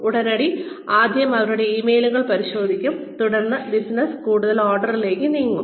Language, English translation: Malayalam, Immediately, check their emails first thing, and then move on to more orders of business